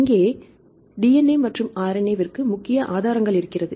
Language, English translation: Tamil, Here the main resources sources are the DNA and RNA sequences right